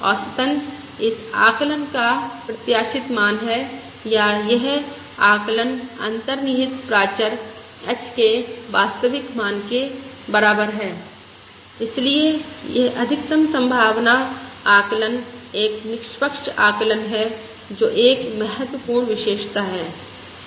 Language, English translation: Hindi, On an average, that is the expected value of this estimate, or this estimator is equal to the true value of the underlying parameter h and therefore this maximum likelihood estimate is an unbiased estimate, which is an important property